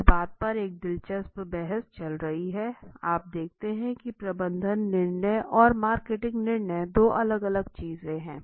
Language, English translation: Hindi, For example there is an interesting debate on this; you see management decision and marketing decision are two different things okay